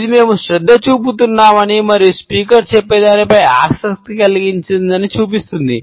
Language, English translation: Telugu, ” It shows that we are paying attention and are interested in what the speaker has to say